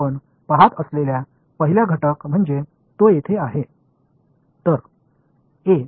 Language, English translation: Marathi, So, the first component we can see is this guy over here